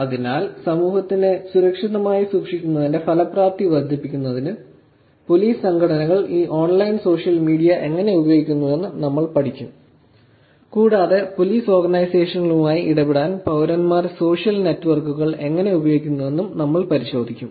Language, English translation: Malayalam, So, we will actually study how police organizations are using this online social media for increasing their effectiveness of keeping this society safely and we will also look at how citizens have beem using social networks to interact with police organizations